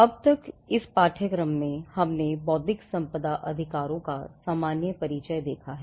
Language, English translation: Hindi, So far, in this course, we have seen a general introduction to Intellectual Property Rights